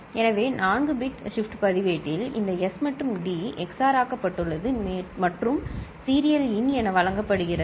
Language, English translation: Tamil, So, this 4 bit shift register, this S and T are XORed and is fed as serial in